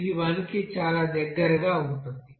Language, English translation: Telugu, So it is very near about to 1